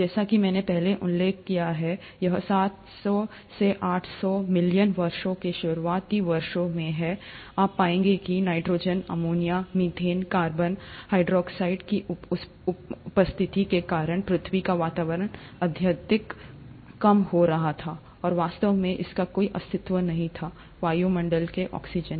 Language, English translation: Hindi, As I mentioned earlier, it is in, in the initial seven hundred to eight hundred million years, you would find that the earth’s atmosphere was highly reducing because of presence of nitrogen, ammonia, methane, carbon dioxide, and it actually did not have any atmospheric oxygen